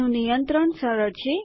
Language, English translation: Gujarati, Its easier to control